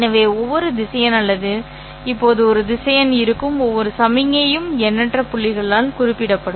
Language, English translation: Tamil, So, each vector or each signal which is now a vector will be specified by an infinite number of points and there are of course an infinite number of such vectors